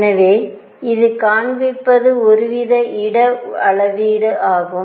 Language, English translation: Tamil, So, what this is showing is some sort of space quantization